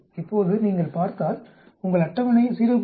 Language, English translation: Tamil, Now if you look, go to your table 0